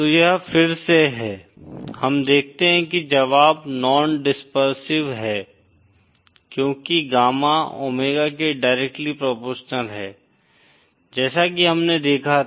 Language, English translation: Hindi, So this is again, we see the solution is non dispersive because gamma is directly proportional to omega as we had seen